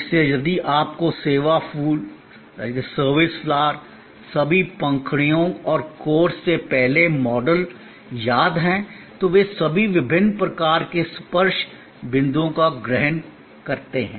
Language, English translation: Hindi, So, if you remember the earlier model of the service flower, all the petals and the core, they all embody different sort of touch points